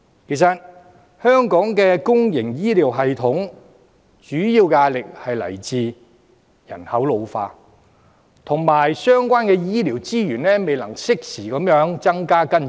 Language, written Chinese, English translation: Cantonese, 其實，香港的公營醫療系統主要的壓力來自人口老化，以及相關醫療資源未能適時地增加和跟進。, In fact the primary pressure on Hong Kongs public health care system comes from population ageing and the failure of the relevant health care resources to increase and follow up on a timely basis